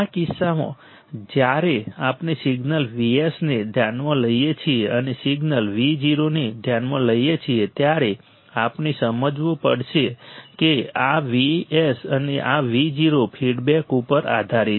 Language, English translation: Gujarati, In this case, when we consider signal V s and we consider the signal V o then we have to understand that this V s and this V o are dependent on the feedback are dependent on the feedback right